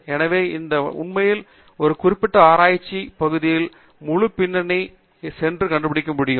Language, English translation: Tamil, So, this way actually we can go and discover the entire background of a particular research area